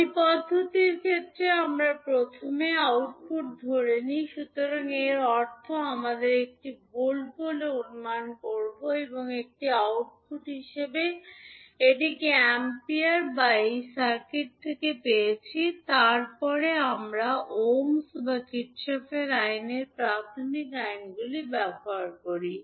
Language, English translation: Bengali, But in case of ladder method we first assume output, so it means that we will assume say one volt or one ampere as an output, which we have got from this circuit and then we use the basic laws of ohms and Kirchhoff’s law